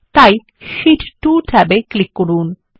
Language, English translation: Bengali, Now, on the Sheet tab click on Sheet 1